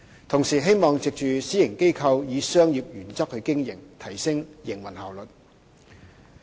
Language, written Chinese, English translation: Cantonese, 同時，希望藉私營機構以商業原則經營，提升營運效率。, Meanwhile it was hoped that the operating efficiency could be enhanced through a private organization operating on commercial principles